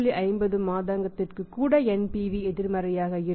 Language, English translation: Tamil, 5 months or 50 months in that case also then NPV is going to be negative